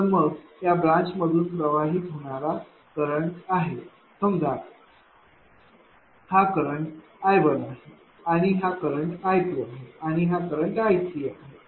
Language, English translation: Marathi, So, then what is this current what is this current flowing through this branch suppose this is your I 1, this is your I 2, and this is your I 3